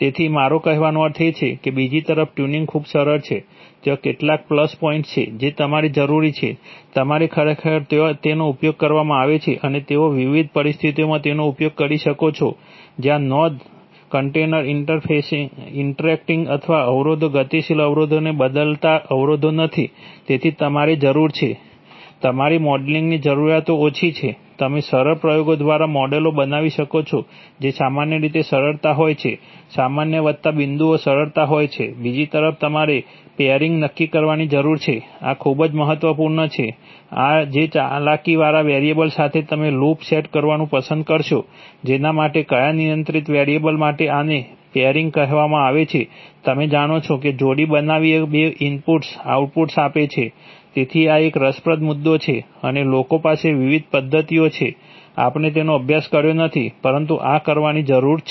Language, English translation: Gujarati, So, I mean, on the other hand tuning is very simple there are some plus points, that is you need to, you, in fact there they are used and they you can use it in various situations where there is not significant interaction or constraints changing dynamic constraints, so you need, Your modeling requirement is low, you can build models by simple experiments, they are generally simplicity, general plus points are simplicity, on the other hand you need to determine Pairing, this is very important, this which manipulated variable you will choose to set up a loop with, which for, which controlled variable this is called Pairing, you know pairing outputs two inputs, so this is, this is an, this is an interesting point and people have various methods, we did not study them but this needs to be done